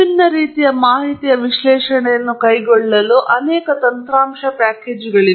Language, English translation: Kannada, There are many, many software packages that can carry out analysis of different types of data